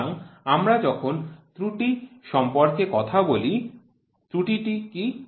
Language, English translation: Bengali, So, when we talk about error, what is an error